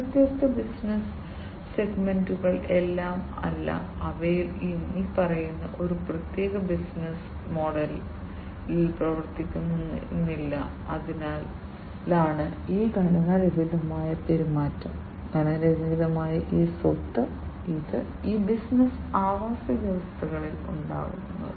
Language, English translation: Malayalam, And these different business segments are not all, they do not all function in the following a particular business model and because of which this unstructured behavior, this property of unstructuredness, this arises in these business ecosystems